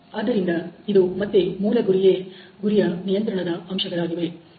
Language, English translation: Kannada, So, this is again target control factors